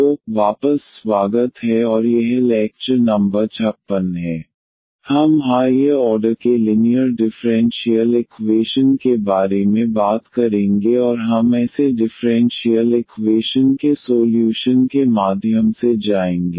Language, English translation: Hindi, So, welcome back and this is lecture number 56 we will be talking about linear differential equations of higher order and we will go through the solution of such differential equations